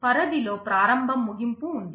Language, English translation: Telugu, There is a begin end in the scope